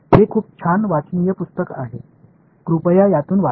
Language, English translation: Marathi, It is a very nice readable book, please have a read through it